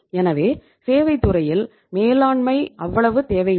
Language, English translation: Tamil, So management is not that much required in the services sector